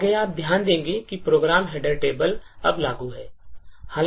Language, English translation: Hindi, Further you will note that the program header table is now applicable now